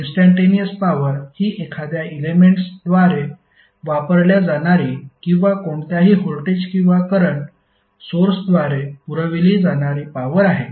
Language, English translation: Marathi, Instantaneous power is the power at any instant of time consumed by an element or being supplied by any voltage or current source